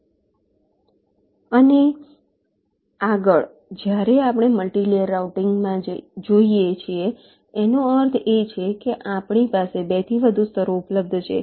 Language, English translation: Gujarati, and next, when we look at multilayer, routing means we have more than two layers available with us